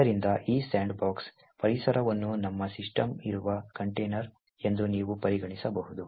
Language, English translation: Kannada, So, you could consider this sandbox environment as a container in which our system is actually present